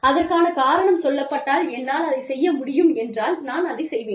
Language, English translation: Tamil, If the reason is there, and i can do it, i will do it